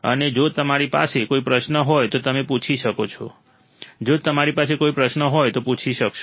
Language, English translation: Gujarati, And if you have an query you can ask, if you have an query feel free to ask